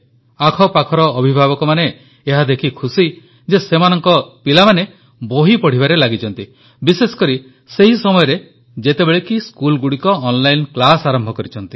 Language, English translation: Odia, Parents around are quite happy that their children are busy reading books… especially when schools too have started online classes